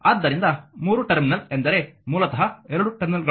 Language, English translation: Kannada, So, 3 terminal means basically these 2 terminals